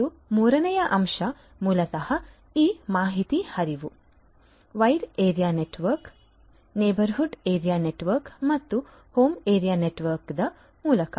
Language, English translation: Kannada, And the third component is basically this information flow, through the wide area network, neighborhood area network and the home area network